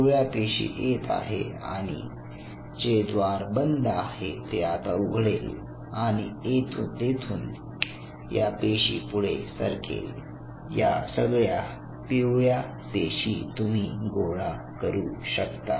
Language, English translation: Marathi, Now yellow cell coming this gate will remain closed this will open and the yellow cell will move here and you can collect all the yellow cells in your bucket